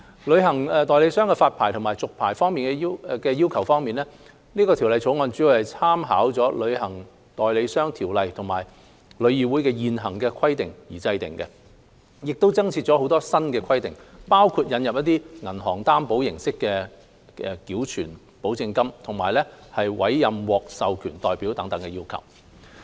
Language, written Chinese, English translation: Cantonese, 旅行代理商的發牌和續牌要求方面，《條例草案》主要參考《旅行代理商條例》和旅議會的現行規定而制定，亦增設若干新規定，包括引入以銀行擔保形式繳存保證金和委任獲授權代表等要求。, Regarding the requirements related to the issue and renewal of travel agent licences the Bill has been drawn up mainly with reference to the Travel Agents Ordinance and the existing requirements of TIC supplemented with certain new requirements including those of depositing guarantee money by bank guarantee and appointing authorized representatives